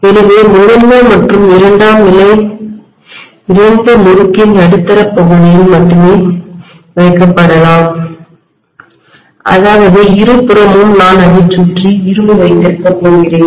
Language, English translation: Tamil, So I may have primary and secondary both put up only in the middle portion of the winding which means on either side I am going to have iron surrounding it